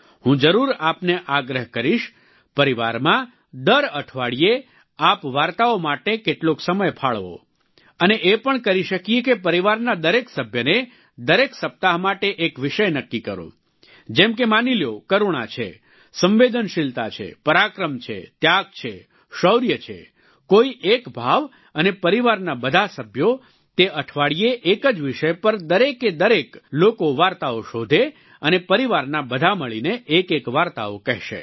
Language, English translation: Gujarati, I would definitely urge you to take out sometime in the family every week for stories, and you can also allot every family member, for a given week, a topic, like, say compassion, sensitivity, valour, sacrifice, bravery choose any one sentiment to be dwelt upon by all members of the family, that week and everybody will source out a story on the same subject and all of the family members in a group will tell individual tales